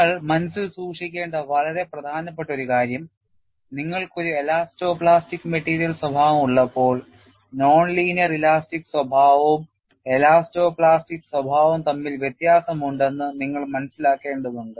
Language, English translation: Malayalam, And one of the very important aspects that you will have to keep in mind is when you have an elasto plastic material behavior, you will have to realize, there is a difference between non linear elastic behavior and elasto plastic behavior